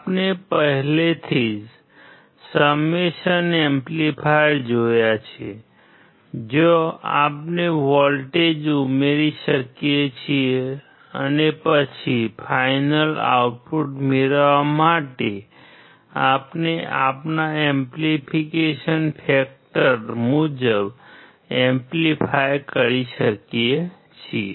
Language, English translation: Gujarati, We have already seen the summation amplifier, where we can add the voltages and then we can amplify according to our amplification factor to get the final output